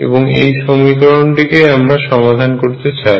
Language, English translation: Bengali, And this is the equation we want to solve